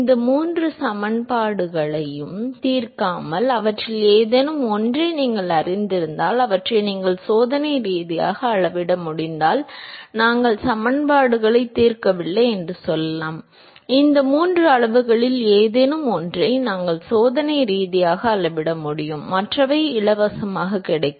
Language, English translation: Tamil, Without solving all of these three equations if you know one of them, if you are able to even experimentally measure them, let us say we do not even solve the equations; we are able to experimentally measure either of these three quantities you are done the others come for free